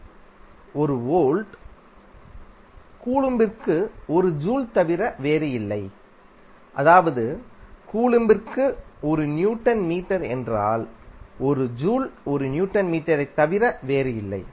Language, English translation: Tamil, 1 volt is nothing but 1 joule per coulomb that is nothing but 1 newton metre per coulomb because 1 joule is nothing but 1 newton metre